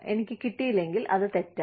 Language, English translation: Malayalam, If iIdo not get it, then it is a wrong